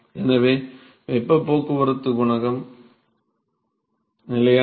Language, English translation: Tamil, So, the heat transport coefficient is constant